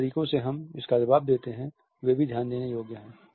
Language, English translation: Hindi, The ways in which we respond to it are also very interesting to note